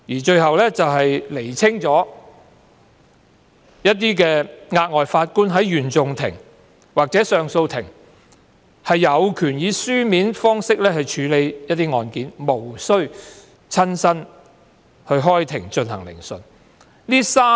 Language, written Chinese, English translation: Cantonese, 最後一項修訂，是釐清額外法官在原訟法庭或上訴法庭有權以書面方式處理案件，無須親身開庭進行聆訊。, The last amendment seeks to clarify that an additional judge in the Court of First Instance or the Court of Appeal has the power to dispose of cases on paper without physically sitting in court